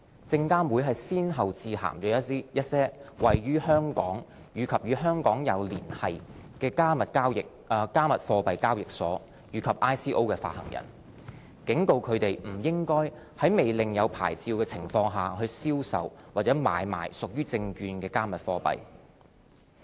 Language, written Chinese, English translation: Cantonese, 證監會先後致函一些位於香港或與香港有連繫的"加密貨幣"交易所及 ICO 發行人，警告它們不應在未領有牌照的情況下銷售或買賣屬於"證券"的"加密貨幣"。, SFC had sent letters to cryptocurrency exchanges and issuers of ICOs in Hong Kong or with connections to Hong Kong cautioning them that they should not trade cryptocurrencies which were securities without a licence